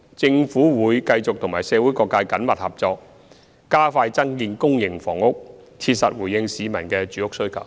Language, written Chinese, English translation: Cantonese, 政府會繼續和社會各界緊密合作，加快增建公營房屋，切實回應市民的住屋需求。, The Government will continue to work closely with the community to expedite the construction of public housing so as to effectively address the housing needs of the society